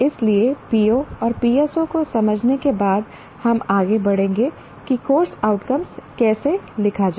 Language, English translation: Hindi, So after understanding POs and PSOs, we will move on to how to write course outcomes